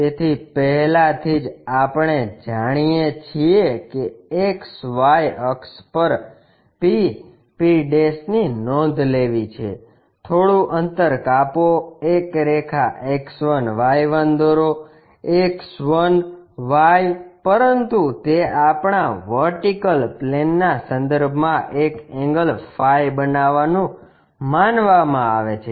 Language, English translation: Gujarati, So, already we know XY axis p, p's are noted down, give some distance, draw a line X 1 Y 1; X1 Y1, but it is supposed to make an angle phi with respect to our vertical plane